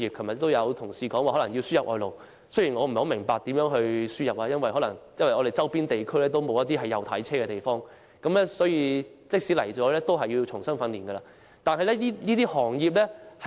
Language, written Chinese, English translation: Cantonese, 昨天有同事表示香港可能須輸入外勞，雖然我不太明白如何能夠輸入外勞，因為在香港周邊地區行走的汽車都不是右軚車，輸入的外勞也須重新接受訓練。, Yesterday a colleague said that labour might need to be imported into Hong Kong . Although I do not entirely understand how labour can be imported to help the industry as the vehicles in our neighbouring regions are not right - hand drive vehicles and the imported labour will be required to receive training afresh